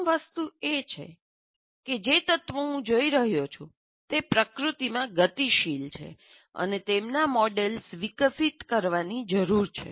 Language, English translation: Gujarati, So first thing is the elements that I'm looking at are dynamic in nature and their models are developed